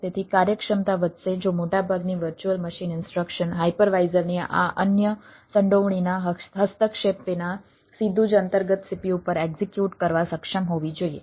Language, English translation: Gujarati, so efficiency will increase if the most of the virtual machine instruction should able to execute directly on the underlying cpu without intervention of this other involvement, the hypervisor